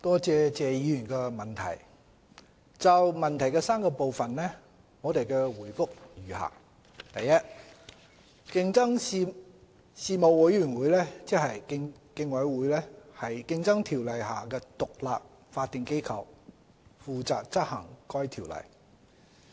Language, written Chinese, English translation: Cantonese, 就質詢的3個部分，我的答覆如下：一競爭事務委員會是《競爭條例》下的獨立法定機構，負責執行該條例。, My reply to the three parts of the question is as follows 1 Established under the Competition Ordinance the Competition Commission is an independent statutory body which enforces the Ordinance